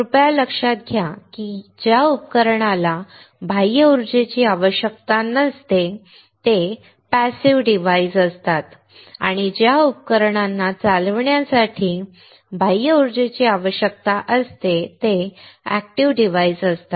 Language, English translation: Marathi, Please note that a device that does not require external power are passive devices and one that requires external power to drive are active devices